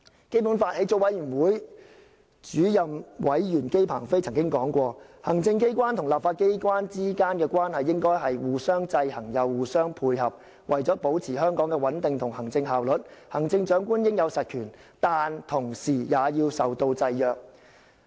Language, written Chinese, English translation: Cantonese, 基本法起草委員會主任委員姬鵬飛曾經說過："行政機關和立法機關之間的關係應該是既互相制衡又互相配合；為了保持香港的穩定和行政效率，行政長官應有實權，但同時也要受到制約。, The Chairman of the Drafting Committee for the Basic Law JI Pengfei once said that the executive authorities and the legislature should regulate each other as well as coordinate their activities . To maintain Hong Kongs stability and administrative efficiency the Chief Executive must have real power which at the same time should be subject to some restrictions